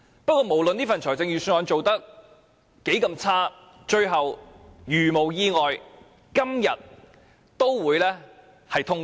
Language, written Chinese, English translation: Cantonese, 不過，無論這份預算案有多差勁，如無意外，也會在今天通過。, Yet no matter how poorly written this Budget is it will be passed today barring any unforeseen hiccups